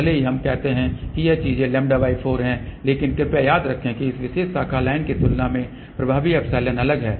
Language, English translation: Hindi, Even though we say these things are lambda by 4, but please remember for this epsilon effective is different compared to this particular branch line, ok